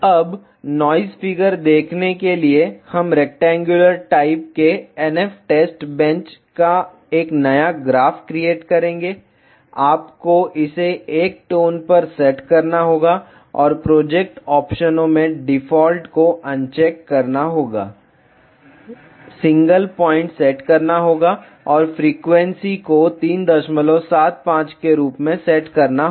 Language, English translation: Hindi, Now, to view noise figure we will create a new graph of rectangular type N F test bench, you have to set this to tone 1 ok and in the project options, uncheck the default, set single point and set the frequency as 3